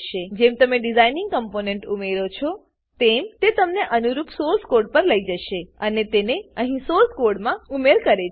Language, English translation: Gujarati, As you add components to the design, it takes the corresponding source code and adds it to the source here